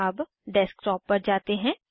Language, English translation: Hindi, Lets go to the Desktop